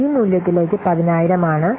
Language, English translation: Malayalam, So 10,,000 into this value is 10,000